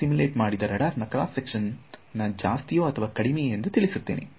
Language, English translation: Kannada, I simulate and show that the radar cross section is less or more